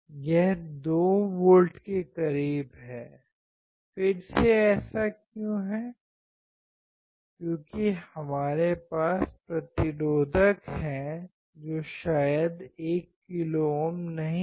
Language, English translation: Hindi, It is close to 2 volts; again why this is the case, because we have resistors which may not be exactly 1 kilo ohm